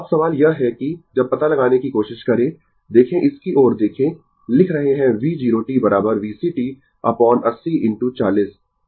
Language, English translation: Hindi, Now, question is that that ah, when we try to find out, look at look at this one right, we are writing V 0 t is equal to V C t upon 80 into 40 right